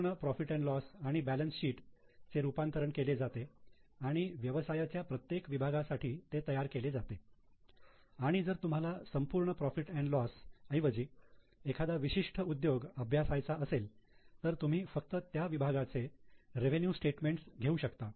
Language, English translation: Marathi, So, the whole P&L and balance sheet is converted and is reported for each business segment and if you want to study a particular industry instead of taking the total P&L, just take the segmental revenue statement for the relevant segment